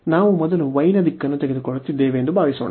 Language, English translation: Kannada, So, suppose we are taking the direction of y first